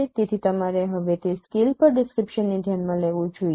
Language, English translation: Gujarati, So you should consider now description at that scale